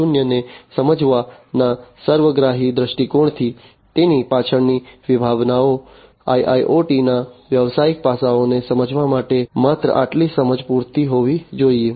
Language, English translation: Gujarati, 0, the concepts behind it, only this much of understanding should be enough in order to understand the business aspects of IIoT